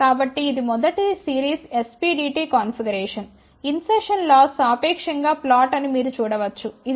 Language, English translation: Telugu, So, this is first series SPDT configuration you can see that insertion loss is relatively flat it is of the order of 0